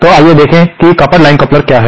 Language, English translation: Hindi, So, let us see what is a coupled line coupler